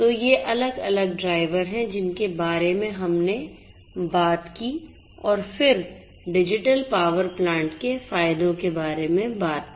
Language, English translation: Hindi, So, these are these different drivers that we talked about and then let us talk about the benefits of the digital power plant